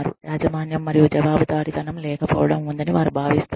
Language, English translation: Telugu, They feel that, there is lack of ownership and accountability